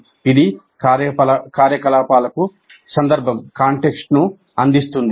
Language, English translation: Telugu, This provides the context for the activities